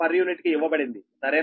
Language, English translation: Telugu, u is given right